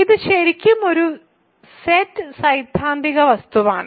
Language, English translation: Malayalam, So, this is really a set theoretic object